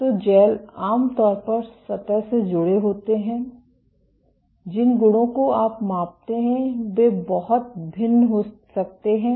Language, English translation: Hindi, So, gels are generally cross linked to the surface, the properties that you measure can vary greatly